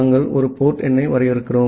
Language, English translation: Tamil, And we are defining a port number